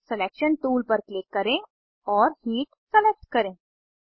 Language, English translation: Hindi, Click on Selection tool and select Heat Right click on the arrow